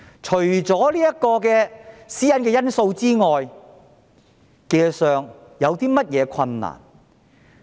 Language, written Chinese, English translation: Cantonese, 除了私隱因素外，技術上有何困難？, What are the technical difficulties apart from the privacy issue?